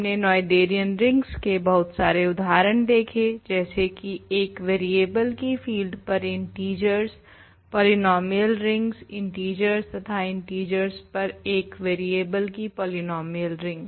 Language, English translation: Hindi, We looked at various examples of Noetherian rings, that we know integers, polynomial rings, over fields in one variable, even in polynomial ring in one variable over the integers